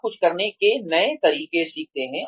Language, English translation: Hindi, You learn new ways of doing something